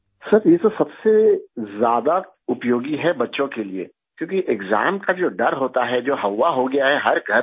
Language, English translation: Urdu, Sir, this is most useful for children, because, the fear of exams which has become a fobia in every home